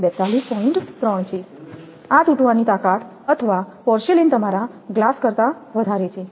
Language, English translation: Gujarati, 3 this crushing strength or porcelain is more than your glass